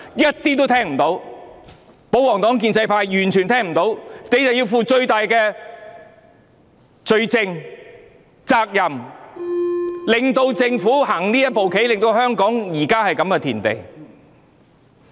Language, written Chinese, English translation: Cantonese, 可是，保皇黨及建制派完全聽不到，所以他們必須負上最大責任，是他們令政府行這步棋，令香港弄至這個田地。, Yet the royalist party and the pro - establishment camp have turned a deaf ear to this . Hence they should bear the greatest responsibility as they had prompted the Government to make that move and reduced Hong Kong to this state